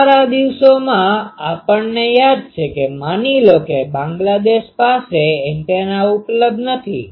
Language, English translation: Gujarati, In our days, we remember that suppose Bangladesh antenna was not available